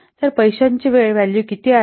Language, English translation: Marathi, So, what is the time value of the money